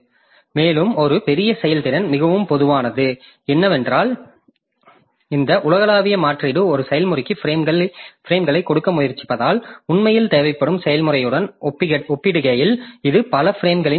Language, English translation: Tamil, And a greater throughput, so more common because this global replacement since we are trying to give frames to a process which really in need compared to the process which has which does not need so many frames